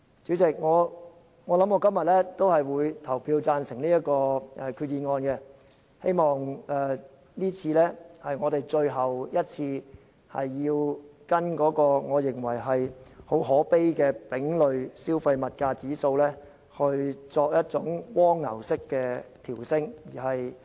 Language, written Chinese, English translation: Cantonese, 主席，我今天會對這項決議案投贊成票，希望這次是我們最後一次跟隨我認為很可悲的丙類消費物價指數，作一種蝸牛式的調升。, President I will vote in favor of this resolution today and hope that this will be the last time we have to follow this deplorable CPIC changes in making a snail - like upward adjustment to FELs